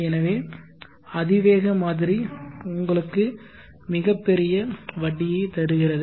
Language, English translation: Tamil, So exponential model gives you the largest interest